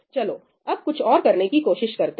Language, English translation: Hindi, Let us try to do something else now